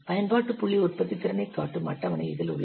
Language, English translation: Tamil, See in this is a table showing the application point productivity